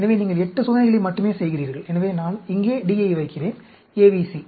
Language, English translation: Tamil, So, you are doing only 8 experiments; so, I put D here, ABC